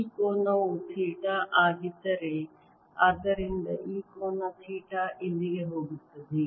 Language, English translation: Kannada, if this angle is theta, so is going to be this angel theta